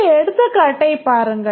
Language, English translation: Tamil, Just look at this example